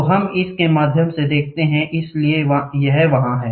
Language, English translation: Hindi, So, we see through it, so this is there